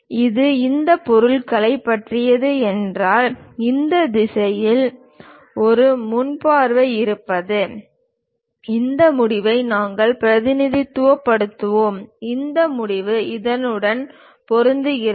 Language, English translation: Tamil, And if it is about this object, having a front view in this direction; we will represent this end, this end matches with this